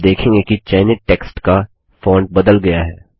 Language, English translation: Hindi, You see that the font of the selected text changes